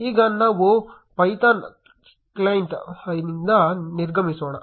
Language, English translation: Kannada, Now, let us exit the Python cli